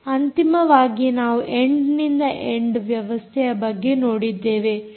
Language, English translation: Kannada, finally, we looked at some end to end systems